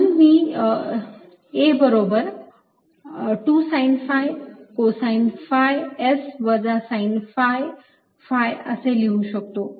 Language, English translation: Marathi, so a i can write as two sine phi, cosine phi s minus sine phi phi